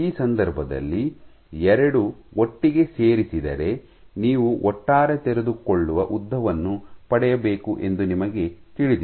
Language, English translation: Kannada, So, this case you know that for these 2 put together you must get the overall unfolded length